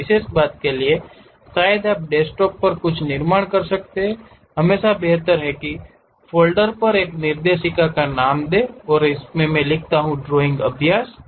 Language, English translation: Hindi, To one particular thing perhaps you can construct something at Desktop, always preferable is constructing a directory in New Folder, Drawing practice